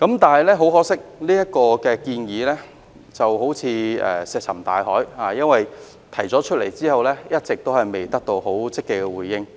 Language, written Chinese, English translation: Cantonese, 但很可惜，這建議仿如石沉大海，因為提出來後，一直沒有得到政府積極的回應。, But it is most regrettable that this proposal seems to have fallen on deaf ears as no positive response has been heard from the Government after the proposal was made